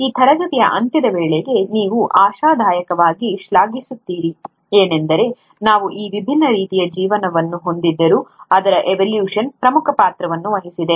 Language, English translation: Kannada, What you’ll appreciate hopefully by the end of this class is that though we have these different forms of life, its evolution which has played the key role